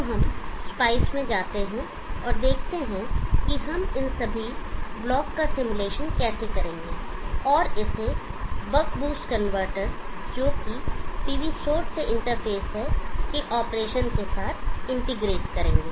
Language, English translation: Hindi, So let us go to spice and see how we will be able to simulate all these block and integrate it with the operation of the buck boost converter interface with the PV source